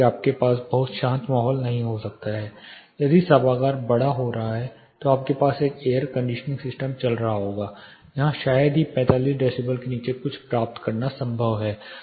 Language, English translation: Hindi, There will be certain disturbances you cannot have a very quite if the auditorium is getting larger you will have an air conditioning system running it is hardly you know possible to get something below 45 decibel